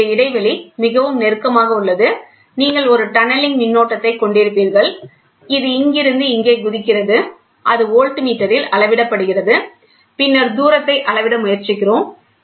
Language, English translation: Tamil, And here, this distance is so close you will have a tunneling current which jumps from here to here, and that is measured that is measured in the voltmeter, and then we try to measure what is the distance